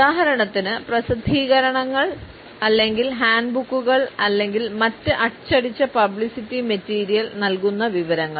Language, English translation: Malayalam, For example, the publications or handbooks or other printed publicity material